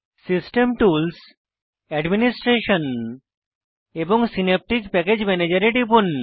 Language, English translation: Bengali, Click on System tools, Administration and Synaptic Package Manager